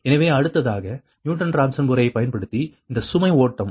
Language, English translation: Tamil, so next, that load flow using newton raphson method